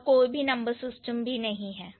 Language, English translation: Hindi, There is absolutely no number system, right